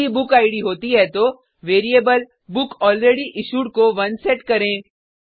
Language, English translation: Hindi, If BookId exists then, set the variable bookAlreadyIssued to 1